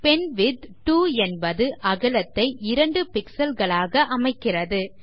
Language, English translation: Tamil, penwidth 2 sets the width of the pen to 2 pixels